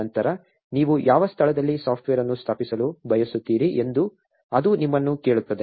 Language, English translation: Kannada, Then it will ask you what location do you want to install the software